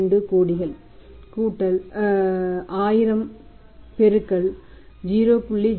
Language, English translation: Tamil, 2 crores plus additional is equal to 1000 into 0